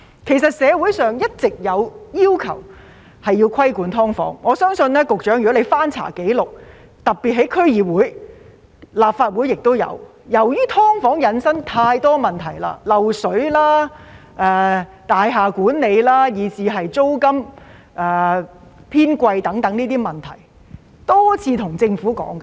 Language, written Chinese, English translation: Cantonese, 其實，社會上一直有要求規管"劏房"，我相信局長如翻查紀錄，特別是區議會的紀錄，而立法會也有，便會看到由於"劏房"引申太多問題，漏水、大廈管理、租金偏貴等，議員已多次跟政府討論。, In fact there have been calls in society for regulation of SDUs all along . I believe if the Secretary checks the records especially those of the District Councils DCs and the Legislative Council he will notice that SDUs have given rise to many problems such as water leakage building management high rent and so on and DC members and Members of the Legislative Council have discussed the problems with the Government many times